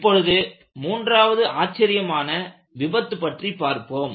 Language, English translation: Tamil, Now, we look at the third spectacularfailure